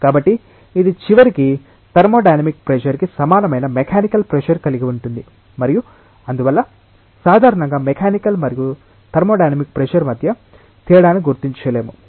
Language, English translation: Telugu, So, that it will eventually have mechanical pressure equal to thermodynamic pressure and therefore, we generally do not distinguish between mechanical and thermodynamic pressure we say that it is just a pressure